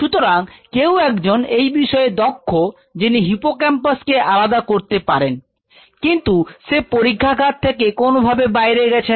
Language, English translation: Bengali, So, somebody is an expert who can isolate hippocampus, but this gentleman or this lady is going to leave the lab